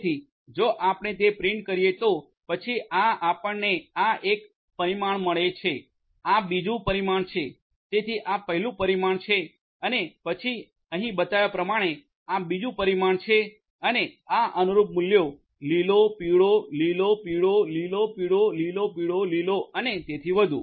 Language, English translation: Gujarati, So, if you print that then you get this is this one dimension, this is the second dimension, so this is this first dimension and then this is the second dimension as shown over here and this corresponding values green, yellow, green, yellow, green, yellow, green, yellow, green and so on